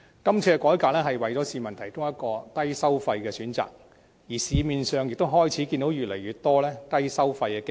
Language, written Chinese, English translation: Cantonese, 這次改革為市民提供了一個低收費的選擇，而市面上亦開始看到越來越多低收費的基金。, The revamp provides the public with a low - fee option amid the growing prevalence of low - fee funds in the market